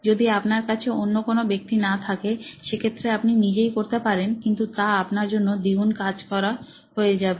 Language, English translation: Bengali, If you do not have another person you can do it yourself but it will be double work for you